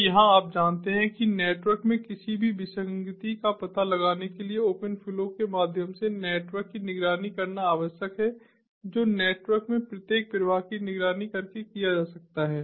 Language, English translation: Hindi, so here you know, it is required to monitor the network through open flow to detect any anomaly in the network, and which can be done by monitoring each flow in the network